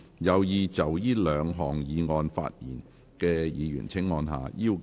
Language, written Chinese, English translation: Cantonese, 有意就這兩項議案發言的議員請按下"要求發言"按鈕。, Members who wish to speak on the two motions will please press the Request to speak button